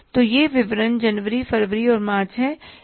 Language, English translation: Hindi, So these are particulars, January, February and March